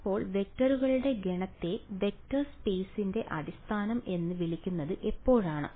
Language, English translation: Malayalam, So, when will I call the set of vectors a basis for a vector space